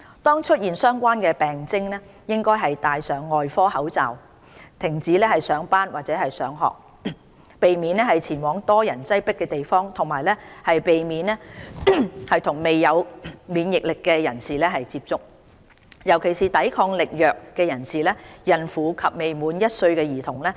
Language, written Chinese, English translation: Cantonese, 當出現相關病徵，應戴上外科口罩，停止上班或上學，避免前往人多擠迫的地方，以及避免接觸未有免疫力的人士，尤其是抵抗力弱人士、孕婦及未滿1歲的兒童。, If symptoms arise they should wear surgical masks stop going to work or school and avoid going to crowded places . They should avoid contact with non - immune persons especially persons with weakened immunity pregnant women and children aged below one